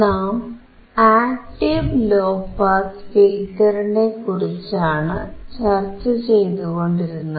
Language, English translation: Malayalam, Here we see the active low pass filter